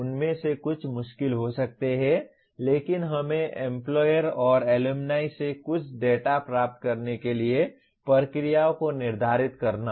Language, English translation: Hindi, Some of them could be difficult but we have to set the processes in place to get some data from the employers and the alumni